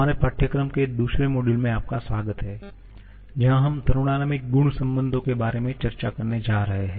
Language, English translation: Hindi, Welcome to the second module of our course where we are going to discuss about the thermodynamic property relations